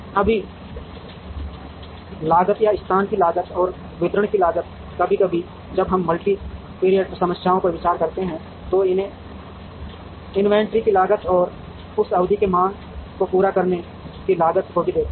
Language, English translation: Hindi, Right now the cost or the cost of location and the cost of distribution, sometimes when we consider multi period problems, we would even look at cost of holding inventory and cost of not meeting the demand in that period